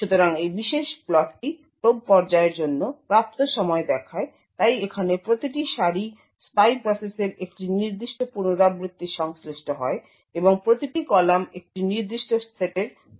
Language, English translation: Bengali, obtained for the probe phase, so each row over here corresponds to one particular iteration in the spy process and each column corresponds to a particular set